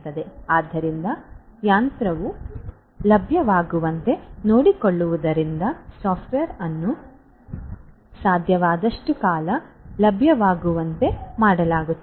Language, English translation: Kannada, So, ensuring that the machine is made available, the software is made available as much long as possible